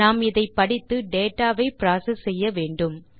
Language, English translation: Tamil, We are going to read it and process this data